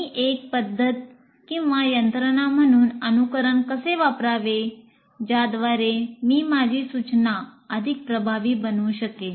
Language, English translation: Marathi, How do I use the simulation as a method or a mechanism by which I can make my instruction more effective